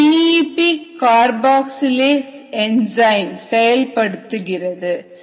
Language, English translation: Tamil, this is the p e, p carboxylase enzyme that is doing this